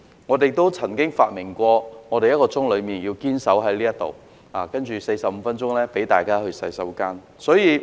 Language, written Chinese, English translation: Cantonese, 我們亦曾發明在此堅守45分鐘，接着的15分鐘可讓大家上洗手間的對策。, We have also devised the tactic of staying in the Chamber for 45 minutes and then we would be free to go to the washroom in the next 15 minutes